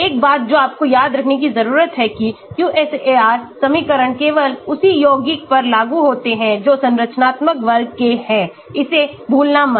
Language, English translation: Hindi, one thing you need to remember is QSAR equations are only applicable to compounds in the same structural class donot forget that